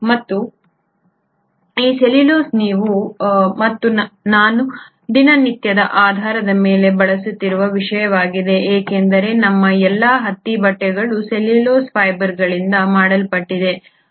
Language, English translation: Kannada, And this cellulose is something that you and I use on a day to day basis because all our cotton clothes are nothing but made up of cellulose fibres